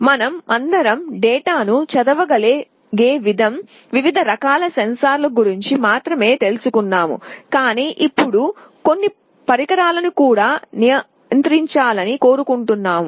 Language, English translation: Telugu, We only talked about different kind of sensors from where we can read the data, but now we want to also control some devices